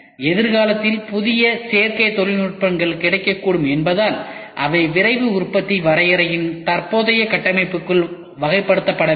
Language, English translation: Tamil, In the future as new additive technologies may become available they will need to be classified within the current structure of Rapid Manufacturing definition